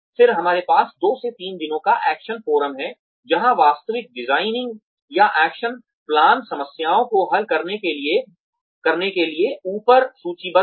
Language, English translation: Hindi, Then, we have the action forum of 2 to 3 days, where the actual designing, or action plans, to solve the problems, listed above are undertaken